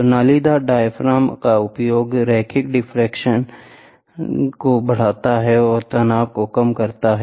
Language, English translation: Hindi, So, use of corrugated diaphragm increases linear deflection and reduces stresses